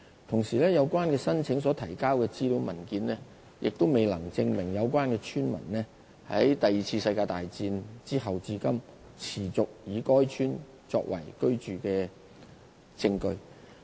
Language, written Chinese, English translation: Cantonese, 同時，有關申請所提交的資料文件，亦未能證明有關村民在第二次世界大戰後至今，持續以該村作為居住地方。, Meanwhile the information papers provided in relation to the application failed to serve as evidence for proving that the village has been continuously inhabited by those villagers after the Second World War was over up to the present